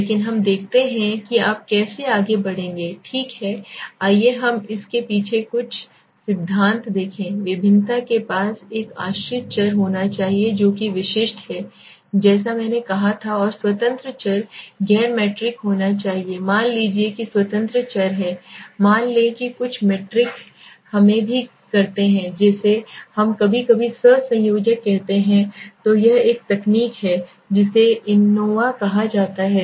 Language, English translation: Hindi, But let us see what how would you go ahead okay let us see some theory behind it the analysis of variance is must have a dependent variable that is specific as I said and the independent variable must be non metric suppose the independent variable is let s say having also some metric let us say which we sometimes call covariates then it is new technique called ancova